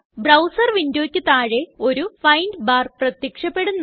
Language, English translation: Malayalam, A Find bar appears at the bottom of the browser window